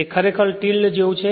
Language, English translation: Gujarati, It is actually like tilde right